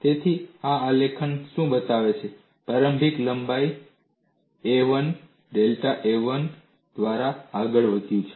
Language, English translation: Gujarati, So, what this graph shows is a crack of initial length a 1 has advanced by delta a 1